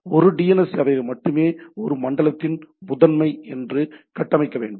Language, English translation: Tamil, Only one DNS server should be configured as primary of a zone